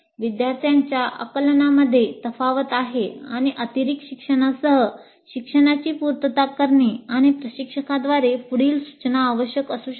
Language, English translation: Marathi, There are gaps in the students' understanding and it may be necessary to supplement the learning with additional material or further instruction by the instructor